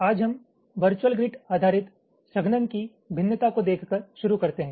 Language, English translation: Hindi, hm, today we start by looking at a variation of the virtual grid based compaction